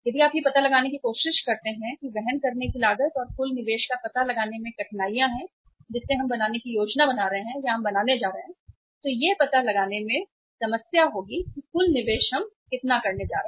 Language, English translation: Hindi, Carrying cost if you try to find out there are the difficulties in finding out the carrying cost and the total investment which we plan to make or we are going to make there is a problem to find out that total investment we are going to make